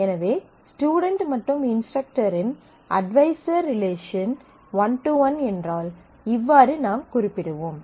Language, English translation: Tamil, So, if the student instructor relationship advisor relationship is one to one, then this is how we will denote it